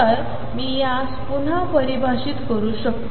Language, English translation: Marathi, So, I can redefine its